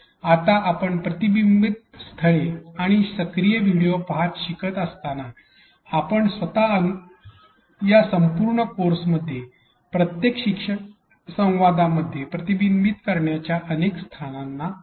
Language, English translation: Marathi, Now as you were learning about reflection spots and active video watching, you yourself experienced several reflection spots in each learning dialogue throughout this course